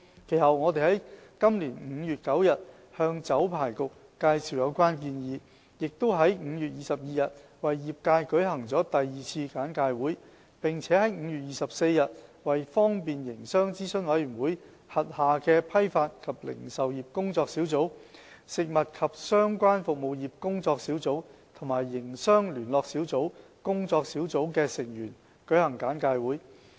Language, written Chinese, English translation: Cantonese, 其後，我們在今年5月9日向酒牌局介紹有關建議，於5月22日為業界舉行了第二次簡介會，並於5月24日為方便營商諮詢委員會轄下的批發及零售業工作小組、食物及相關服務業工作小組和營商聯絡小組工作小組的成員，舉行簡介會。, Subsequently we made a presentation on the relevant proposals to the Liquor Licensing Board on 9 May this year the second briefing session for the industry on 22 May and another briefing session to members of the Wholesale and Retail Task Force the Food Business and Related Services Task Force as well as the Task Force on Business Liaison Groups under the Business Facilitation Advisory Committee on 24 May